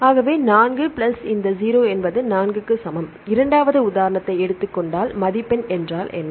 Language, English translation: Tamil, So, 4 plus this 0 that is equal to 4 if we take the second example what is a score